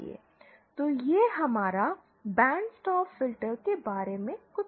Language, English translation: Hindi, So this was something about our band pass filter